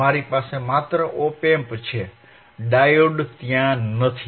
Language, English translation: Gujarati, I have just op amp right, diode is not there